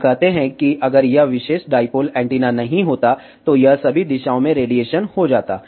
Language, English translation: Hindi, Let us say if this particular dipole antenna had this been not there, it would have radiated in all the direction